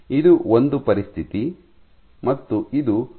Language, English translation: Kannada, This is one situation, this is another situation